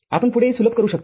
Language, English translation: Marathi, You can further simplify it